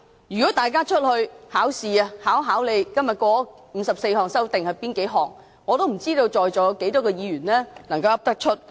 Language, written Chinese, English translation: Cantonese, 如果大家在外面"考試"，被問到今天通過的54項擬議修訂的內容，我不知道在席有多少位議員能夠說出來。, If Members are tested outside the Chamber about the contents of the 54 proposed amendments I wonder how many attending Members can answer